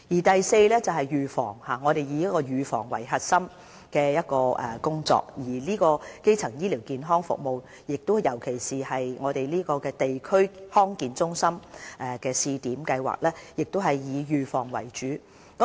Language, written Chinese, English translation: Cantonese, 第四是預防，我們以預防作為核心工作，而基層醫療健康服務，尤其是地區康健中心的試點計劃，亦以預防為主。, Fourth disease prevention is the core of our work . After all our primary health care services focus on the preventive side especially for the District Health Centre DHC Pilot Project